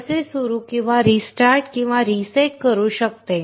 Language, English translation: Marathi, How it can start or restart or reset